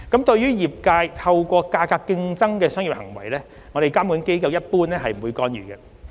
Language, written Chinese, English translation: Cantonese, 對於業界透過價格競爭的商業行為，監管機構一般不會干預。, The regulatory authorities generally do not intervene the industrys price competition which is part of their business operation